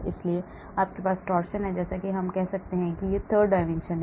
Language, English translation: Hindi, so you have torsion is the twist as we can say, it is the twist in the third dimension